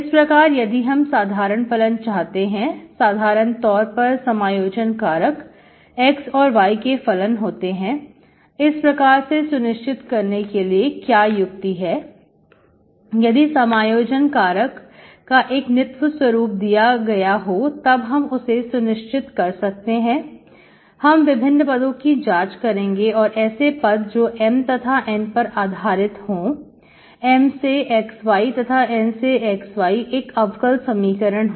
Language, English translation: Hindi, So inside, if you if you want the general function, generally integrating factor as a function of x and y, so what are the expressions to check, given certain form of integrating factor, you may have to check, check certain expression beforehand based on your M and N, M of xy and N of xy from the differential equation